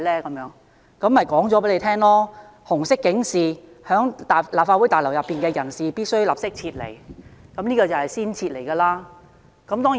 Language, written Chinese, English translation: Cantonese, 我向他解釋，紅色警示即表示在立法會大樓內的人士必須立即撤離，這就是要先撤離的警示。, I have explained to him that when the Red alert is issued all people should leave the Legislative Council Complex immediately . It is a warning telling us that first of all we have to leave the building